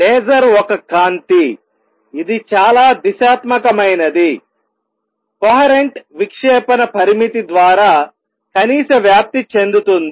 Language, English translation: Telugu, Laser is a light, which is highly directional, coherent, has minimum possible spread set by the diffraction limit